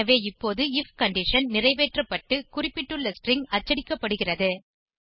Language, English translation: Tamil, So, now it fulfills the if condition and the specified string is printed